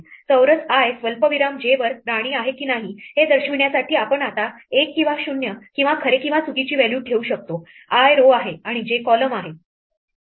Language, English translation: Marathi, We can now put a value 1 or 0 or true or false to indicate whether or not there is a queen at the square i comma j; i is the row, j is the column